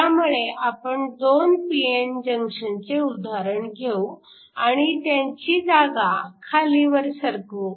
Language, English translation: Marathi, So, we can just take the example of 2 p n junctions and then just shift them when we do that